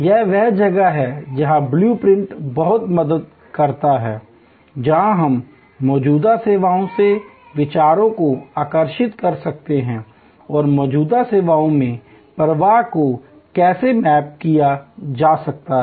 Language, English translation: Hindi, This is where the blue print is of immense help, where we can draw ideas from existing services and how the flow can be mapped in existing services